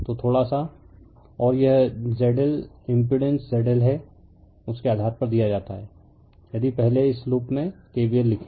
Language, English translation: Hindi, So, little bit and this is Z L impedance Z L is given based on that if you write in the first in this in this loop if you write your KVL